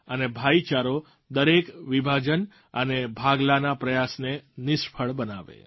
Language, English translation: Gujarati, And brotherhood, should foil every separatist attempt to divide us